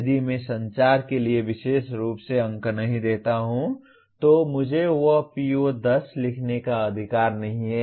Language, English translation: Hindi, If I do not give marks specifically for communication, I do not have right to write PO10 there, okay